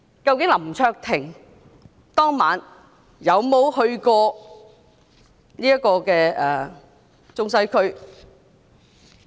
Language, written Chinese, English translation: Cantonese, 究竟林卓廷議員當晚有沒有去過中西區？, After all did Mr LAM Cheuk - ting go to the Central and Western District that night?